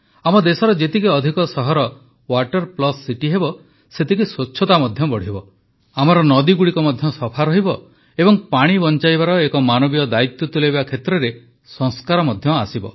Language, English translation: Odia, The greater the number of cities which are 'Water Plus City' in our country, cleanliness will increase further, our rivers will also become clean and we will be fulfilling values associated with humane responsibility of conserving water